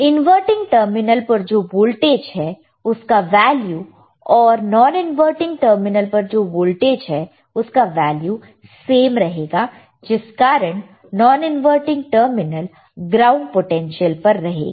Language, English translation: Hindi, The voltage at the inverting terminal will be same as a voltage at the non when terminal in since the non inverting terminal is at ground potential